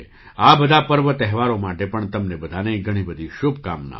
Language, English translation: Gujarati, Many best wishes to all of you for all these festivals too